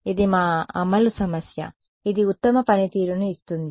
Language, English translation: Telugu, This is our implementation issue this is what gives the best performance